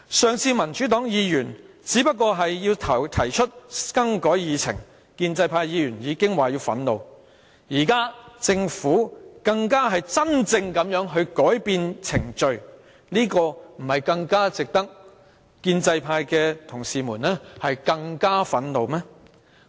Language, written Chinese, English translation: Cantonese, 上次民主黨的議員只是想提出更改議程，建制派議員便已說感到憤怒；現在政府真正改變程序，不是更值得建制派的同事感到憤怒嗎？, Last time Members from the Democratic Party only expressed the wish to rearrange the order of agenda items yet pro - establishment Members said they were furious . This time the Government has actually made the change shouldnt pro - establishment Members be even more furious?